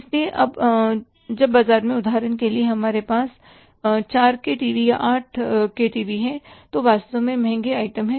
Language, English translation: Hindi, So now for example in the market we have the 4K TV or the 8K TVs which are really expensive items